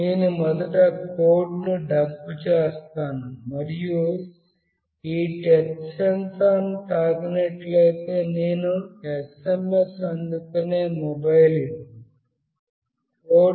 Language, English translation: Telugu, I will just dump the code first and this is the mobile where I will be receiving an SMS if I touch this touch sensor